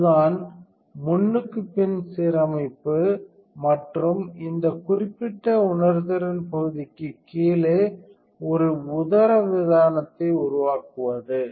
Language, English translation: Tamil, That is what called front to back alignment and to create a diaphragm exactly below this particular sensing area